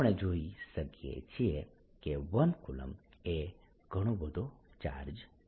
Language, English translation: Gujarati, can already see that one colomb is a lot, lot of charge